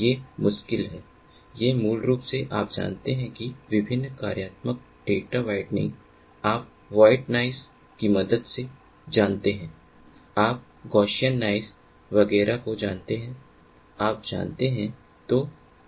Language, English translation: Hindi, these are difficult, these are basically you know the different functionalities: data whitening, you know, with the help of white noise, you know gaussian noise, etcetera, etcetera, you know